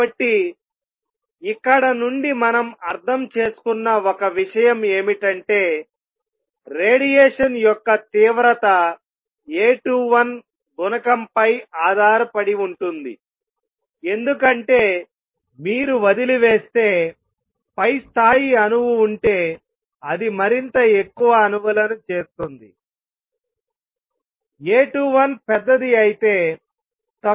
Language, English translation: Telugu, So, one thing we understand from here is number one that the intensity of radiation will depend on A 21 coefficient because if you leave and atom in the upper level it will make more and more atoms will make transition to lower levels if A 21 is larger